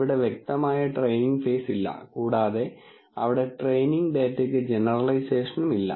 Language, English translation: Malayalam, There is no explicit training phase and so on and there is no generalization for the training data and all that